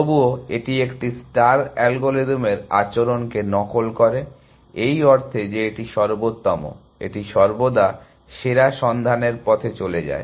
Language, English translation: Bengali, And yet, it mimics the behavior of A star algorithm, in the sense that it is best first, it always goes down the best looking path